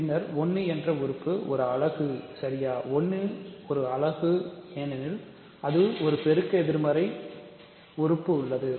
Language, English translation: Tamil, Then 1 is a unit right, 1 is a unit because it has a multiplicative inverse